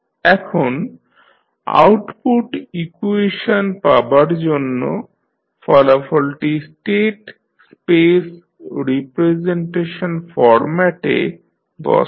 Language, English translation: Bengali, Now, obtain the output equation and the put the final result in state space representation format